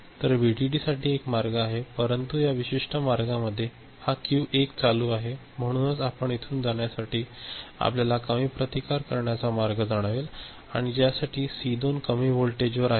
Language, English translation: Marathi, So, VDD there is a path over here, but this particular paths this Q1 is ON, right, so it will go through this you know a low resistance path over here and for which this C2 will remain at you know low voltage only, is it ok